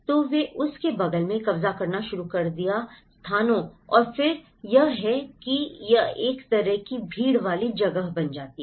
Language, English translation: Hindi, So, they started occupying next to that places and then that is how it becomes a kind of crowded space